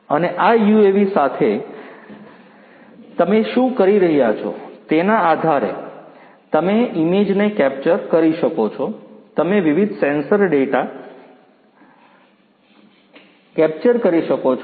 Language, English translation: Gujarati, And depending on what you are doing with this UAV you can capture images, you can capture different sensor data